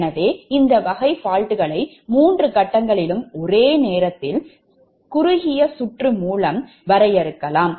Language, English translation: Tamil, so this type of fault can be defined as the simultaneous short circuit across all the three phases